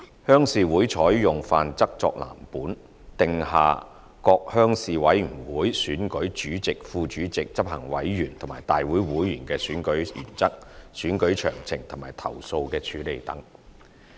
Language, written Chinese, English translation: Cantonese, 鄉事會採用《範則》作藍本，訂下各鄉事會選舉主席、副主席、執行委員及大會會員的選舉原則、選舉詳情及投訴的處理等。, Making reference to the Model Rules RCs set out the principles and details of the election of Chairmen Vice - Chairmen Executive Committee Members and General Assembly Members as well as the handling of complaints